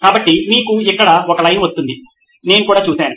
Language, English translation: Telugu, So you’ll have a line coming here as well I have seen that as well